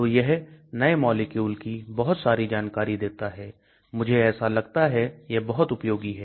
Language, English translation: Hindi, So gives lot of information for new molecules it is very useful so I feel